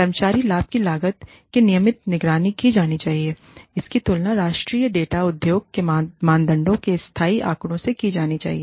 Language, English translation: Hindi, The cost of the employee benefit should be routinely monitored, and compared to national data, industry norms, and localized data